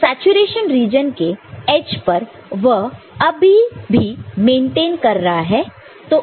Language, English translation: Hindi, So, at edge of saturation, it is still maintaining right